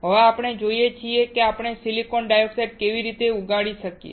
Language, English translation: Gujarati, Now, what we see is how we can grow silicon dioxide